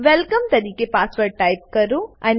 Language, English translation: Gujarati, Type the password as welcome